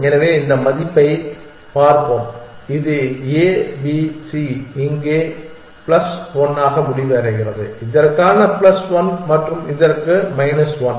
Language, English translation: Tamil, So, let us look at this value this is a, b, c this ends to plus one here plus one for this and minus one for this